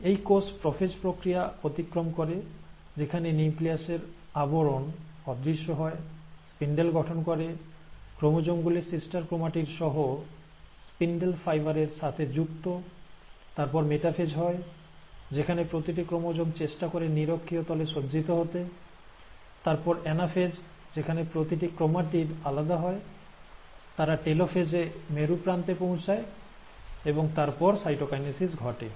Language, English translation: Bengali, This cell also undergoes the process of prophase, where the nuclear envelope disappears, spindle formation takes place, the chromosomes with the sister chromatids is attaching to the spindle fibre; then the metaphase happens where each of these chromosomes try to arrange at the equatorial plane, followed by anaphase, at which each of these chromatids will separate, they will reach the polar ends in the telophase, and this will be then followed by cytokinesis